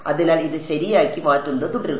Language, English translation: Malayalam, So, keep this fixed and keep changing